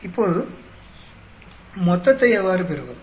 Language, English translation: Tamil, So, how do we get the total